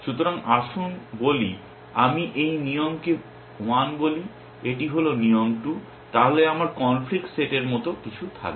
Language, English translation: Bengali, So, let us say I call this rule 1 and this is rule 2 then, my conflict set will have something like